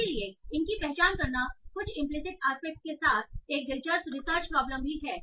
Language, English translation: Hindi, So, I don't think these, that there is some implicit aspect is also an interesting research problem